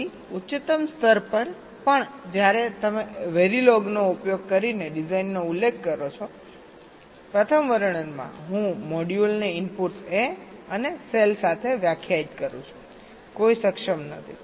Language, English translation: Gujarati, so even at the highest level, when you specify the design using very log, in the first description i am defining the module with inputs a and cell, no enable